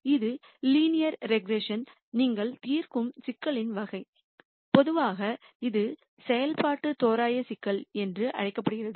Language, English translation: Tamil, This is the type of problem that you would solve in linear regression and in general this is also called as function approximation problem